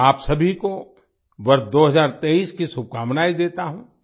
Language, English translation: Hindi, I wish you all the best for the year 2023